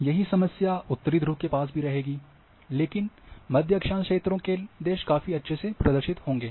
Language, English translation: Hindi, Same also in the north near northern poles, but the in middle latitude regions countries will have quite nice representation